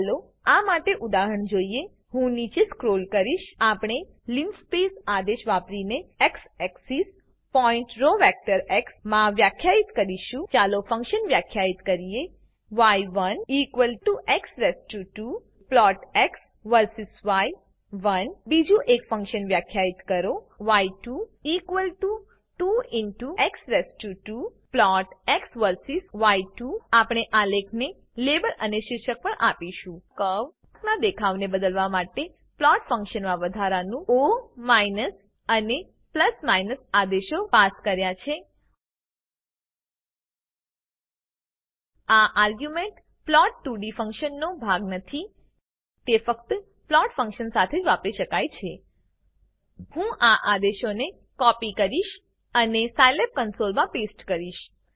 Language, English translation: Gujarati, Let us see an example for this I will scroll down We will define the x axis points in a row vector x using the linspace command Let us define a function y1 = x square plot x verses y1 define another function y2 = 2x square plot x verses y2 We will also give label and title to our graph Notice that we have additionally passed o and + commands to the plot function, to change the appearance of the curve These arguments are not a part of the plot2d function